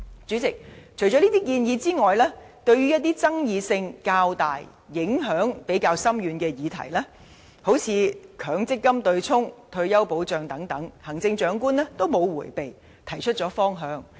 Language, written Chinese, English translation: Cantonese, 主席，除上述建議外，對於一些爭議性較大及影響比較深遠的議題，例如強制性公積金對沖機制及退休保障等，行政長官均沒有迴避，提出了方向。, President while making the above proposals the Chief Executive has not dodged controversial issues which involve relatively far - reaching consequences such as the Mandatory Provident Fund MPF offsetting mechanism and retirement protection . He has indeed shown us the direction